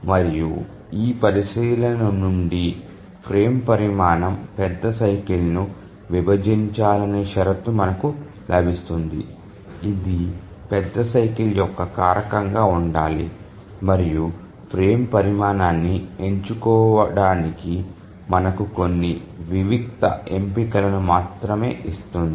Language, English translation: Telugu, And from this consideration we get the condition that the frame size should divide the major cycle, it should be a factor of the major cycle, and that gives us only few discrete choices to select the frame size